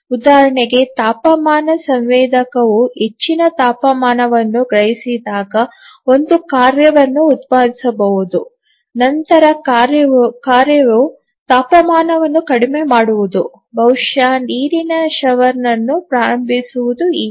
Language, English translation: Kannada, Just to give an example that a task may be generated when the temperature sensor senses a high temperature then the task would be to reduce the temperature, maybe to start a water shower and so on